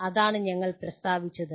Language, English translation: Malayalam, That is what we stated